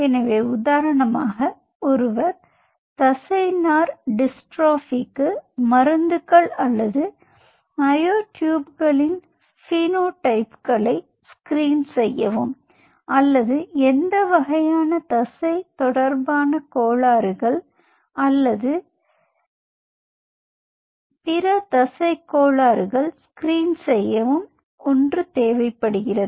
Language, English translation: Tamil, so see, for example, one wants to screen drugs or screen phenotypes of myotubes for muscular dystrophy or any kind of muscle related disorders or other muscle disorders